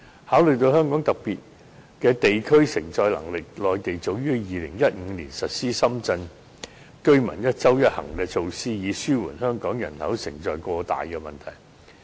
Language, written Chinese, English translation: Cantonese, 考慮到香港個別地區的承載能力，內地早於2015年實施深圳居民"一周一行"措施，以紓緩香港人口承載過大的問題。, Taking into account the capacity of individual districts of Hong Kong the Mainland authorities implemented the measure of one trip per week Individual Visit Endorsements back in 2015 to alleviate the overloaded population capacity